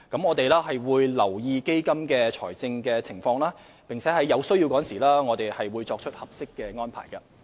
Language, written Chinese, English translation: Cantonese, 我們會留意基金的財政情況，並在有需要時作出合適的安排。, We will keep in view the financial position of the Fund and make appropriate arrangements where necessary